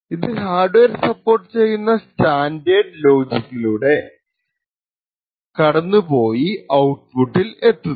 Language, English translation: Malayalam, This would go through the standard logic which is supported by the hardware device and then the output goes